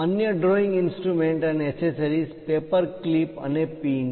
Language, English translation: Gujarati, The other drawing instruments and accessories are paper clips and pins